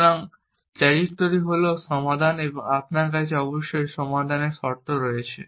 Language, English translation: Bengali, So, the trajectory is the solution and you have conditions on the solutions essentially